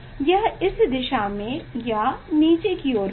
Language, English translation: Hindi, it will be in this direction or downwards